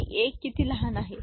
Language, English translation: Marathi, And how small a is represented